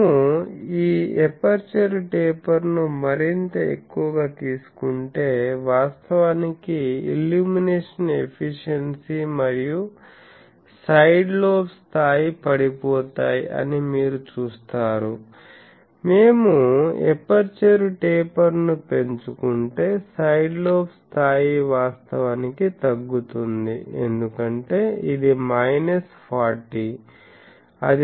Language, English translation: Telugu, So, you see that if we take the this aperture taper to be more and more for then you see that illumination efficiency that actually falls and side lobe level you see that if we increase the aperture taper the side lobe level actually goes down because this is minus 40